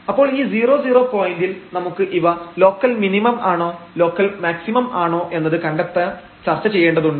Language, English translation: Malayalam, So, at this 0 0 point, we have to now discuss for the identification whether this is a point of local maximum or it is a point of local minimum